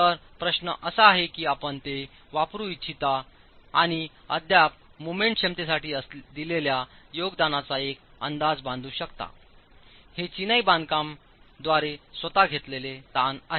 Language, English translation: Marathi, So the question is whether you want to use that and still make an estimate of the contribution to the moment capacity, the tension carried by the masonry itself